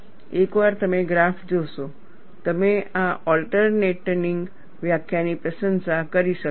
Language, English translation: Gujarati, Once you look at the graph, you will be able to appreciate this alternate definition